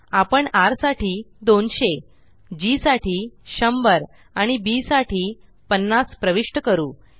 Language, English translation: Marathi, We will enter 200 for R, 100 for G and 50 for B